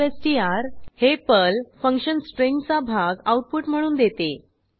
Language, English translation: Marathi, substr is the PERL function which provides part of the string as output